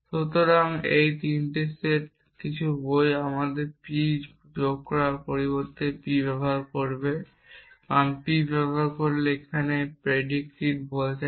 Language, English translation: Bengali, So, these are 3 sets some books would use the symbol our instead of P add use p, because p is stands of predicate here if we use our then it stands for relation essentially